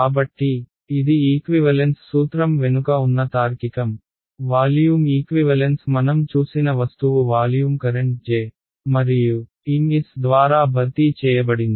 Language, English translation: Telugu, So, these are these this is the sort of reasoning behind equivalence principles, the volume equivalence we saw that the object was replaced by volume current J and Ms we saw